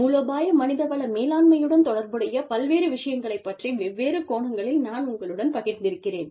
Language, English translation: Tamil, I have shared, several different angles of strategic human resource management, with you